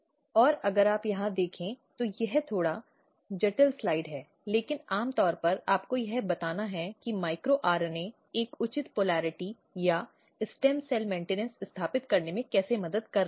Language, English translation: Hindi, And if you look here, this is slightly complex slide, but just to generally tell you that how micro RNA is basically helping in establishing a proper polarity or stem cell maintenance